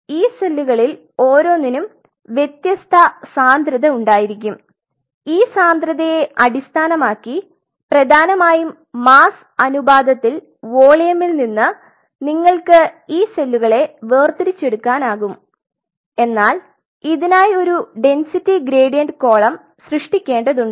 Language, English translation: Malayalam, So, each one of these cells will have different densities based on their density which is essentially masses to volume ratio you can separate these cells what one has to one has to do is one has to create a density gradient column